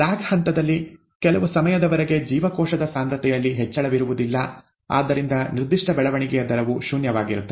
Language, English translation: Kannada, In the lag phase, there is no increase in cell concentration over time, therefore the specific growth rate is zero